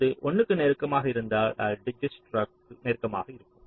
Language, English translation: Tamil, if it is closer to one means it will be closer to dijkstras